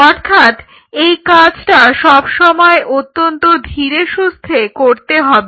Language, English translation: Bengali, So, you will always have to do it very gently